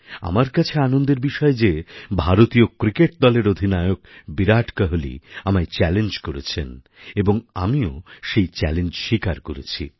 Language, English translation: Bengali, For me, it's heartwarming that the captain of the Indian Cricket team Virat Kohli ji has included me in his challenge… and I too have accepted his challenge